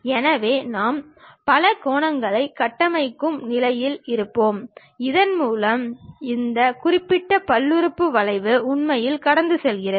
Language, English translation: Tamil, So, that we will be in a position to construct a polygons, through which this particular polynomial curve really passes